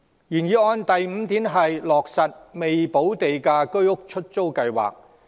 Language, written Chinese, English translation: Cantonese, 原議案第五點建議落實"未補價資助出售房屋——出租計劃"。, Point 5 of the original motion proposes that the Letting Scheme for Subsidised Sale Developments with Premium Unpaid be effected